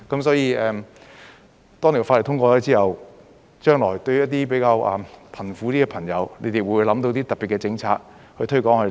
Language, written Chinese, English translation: Cantonese, 所以，當法例通過後，將來對於一些比較貧苦的朋友，你們會否想到特別的政策來推廣呢？, Therefore upon passage of the legislation will you think of any special policies to promote it to the poorer people in the future? . Or whether other political parties and Members engaged in district work ie